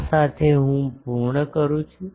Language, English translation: Gujarati, With this, I conclude